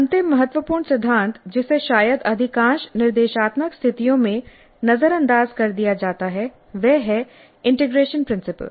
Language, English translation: Hindi, Then the last important principle which probably is ignored in most of the instructional situations is integration from principle